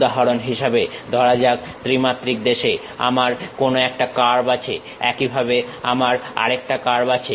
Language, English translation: Bengali, For example, let us take I have some curve in 3 dimensional space similarly I have another curve